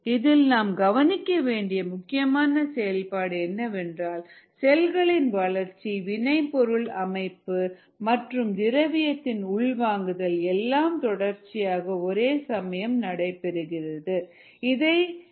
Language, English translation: Tamil, what is important to note here is that during this process there is growth of cells, the product formation and the flow of nutrients all happen simultaneously